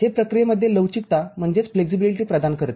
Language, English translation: Marathi, It provides flexibility in processing